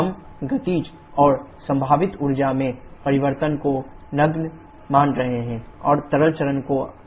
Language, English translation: Hindi, We are assuming the changes in kinetic and potential energies to be negligible and the liquid phase is assumed to be incompressible